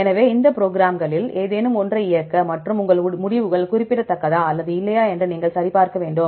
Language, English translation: Tamil, So, to run any of these programs and if you have to check whether your results are significant or not